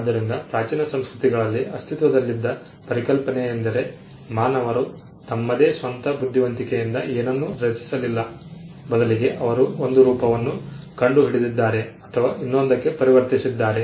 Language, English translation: Kannada, So, the concept that existed in ancient cultures was the fact that human beings did not create anything on their own rather they discovered or converted 1 form of thing to another